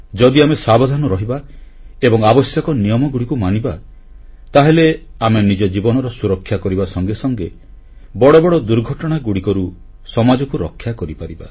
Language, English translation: Odia, If we stay alert, abide by the prescribed rules & regulations, we shall not only be able to save our own lives but we can prevent catastrophes harming society